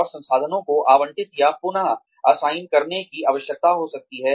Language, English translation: Hindi, And, the resources may need to be allocated or reassigned